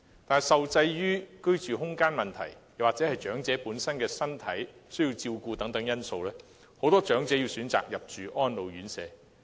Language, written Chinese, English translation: Cantonese, 但是，受制於居住空間或長者本身的身體狀況、需要照顧等因素，很多長者需要入住安老院舍。, But then restrained by the space at home or their own health conditions which necessitate extra care many elderly persons have to live in residential care homes for the elderly